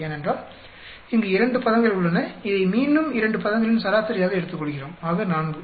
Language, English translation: Tamil, Because we have here 2 terms and getting this again taken from average of 2 terms so 4